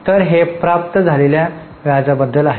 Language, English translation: Marathi, So, this is about interest received